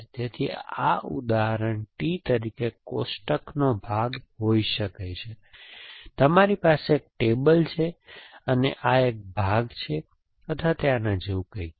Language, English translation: Gujarati, So, this T can be, for example part of a table, so you have a table and this is a leg or something like that